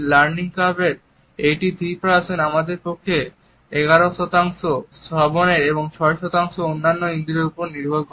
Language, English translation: Bengali, It is said that in the learning curve 83% is dependent on our side, 11% on hearing and 6% on other senses